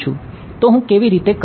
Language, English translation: Gujarati, So, how do I do